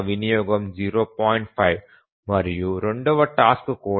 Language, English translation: Telugu, 5 and even for the second task is 0